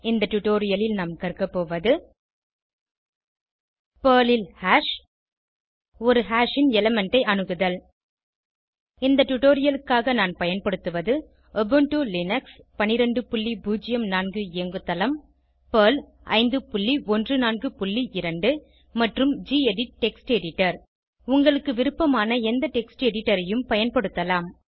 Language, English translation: Tamil, In this tutorial, we will learn about Hash in Perl and Accessing element of a hash For this tutorial, I am using Ubuntu Linux12.04 operating system Perl 5.14.2 and gedit Text Editor You can use any text editor of your choice